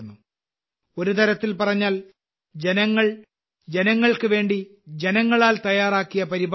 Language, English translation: Malayalam, In a way, this is a programme prepared by the people, for the people, through the people